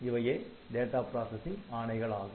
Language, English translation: Tamil, So, these are the data processing instructions